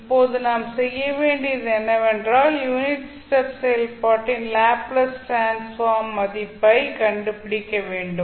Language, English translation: Tamil, Now, what we have to do we have to find out the value of the Laplace transform of unit step function